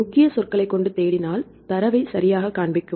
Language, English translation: Tamil, If you search with the keyword right, it will show you the all the data right